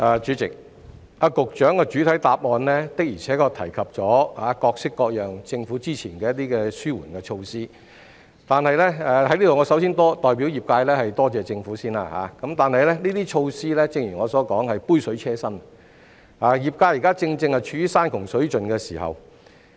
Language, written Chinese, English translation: Cantonese, 主席，局長在主體答覆中提及政府各式各樣的紓緩措施，我首先代表業界感謝政府，但正如我剛才指出，這些措施只是杯水車薪，業界現正處於山窮水盡的狀況。, President the Secretary has mentioned in the main reply the various relief measures taken by the Government . First of all I would like to thank the Government on behalf of the trade . However as I said just now these measures were just drops in the bucket and members of the trade are now at the end of their tether